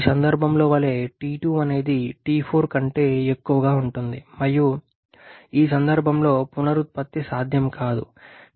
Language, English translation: Telugu, Like in this case T2 is greater then T3 sorry T2 is greater than T4 and so regeneration is not possible in this case